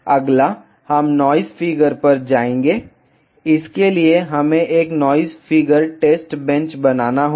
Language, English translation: Hindi, Next, we will move to noise figure; for that we have to create a noise figure test bench